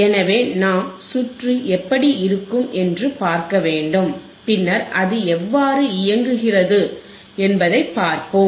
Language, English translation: Tamil, So, we have to see we have to see how the circuit looks like and then we will see how it works ok